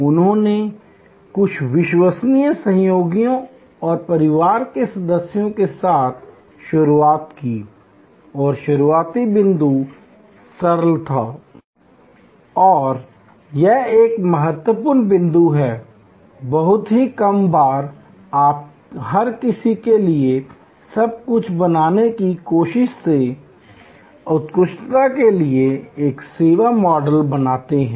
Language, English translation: Hindi, He started with few trusted associates and family members and the starting point was very simple and this is an important point, that very seldom you create a service model for excellence with the big bang in trying to become everything for everybody